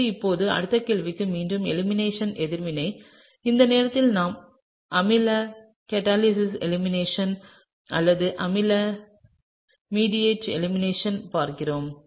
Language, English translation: Tamil, So, now the next question is again an elimination reaction, this time we are looking at acid mediated elimination or acid catalyzed elimination